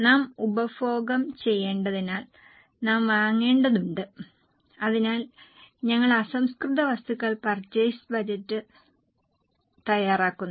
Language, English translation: Malayalam, Because we need to consume, we need to buy, so we prepare raw material purchase budget